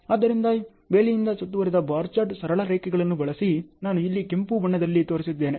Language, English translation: Kannada, So, fenced bar chart just use a straight lines, so as I have shown here in red color